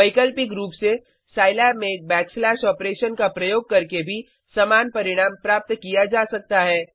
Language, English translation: Hindi, Alternatively, the same result can be achieved using a backslash operation in Scilab